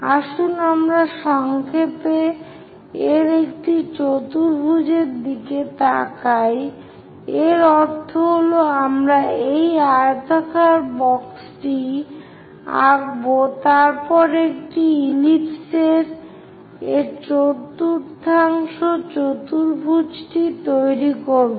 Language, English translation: Bengali, Let us briefly look at one quadrant of this, that means we will draw this rectangular box then construct this one fourth quadrant of an ellipse